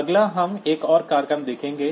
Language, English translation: Hindi, Next, we will look into another program